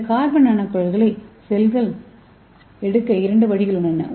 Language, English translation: Tamil, So let us see how this carbon nanotubes can be taken up by the cell